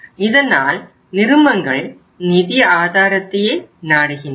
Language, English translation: Tamil, So companies resort to this source of finance